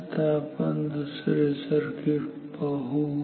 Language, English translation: Marathi, Let us try another circuit